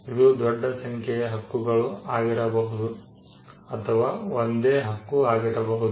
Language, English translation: Kannada, It could be a multitude of claims or it could be a single claim